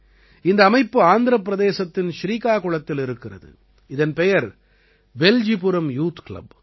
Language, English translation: Tamil, This institution is in Srikakulam, Andhra Pradesh and its name is 'Beljipuram Youth Club'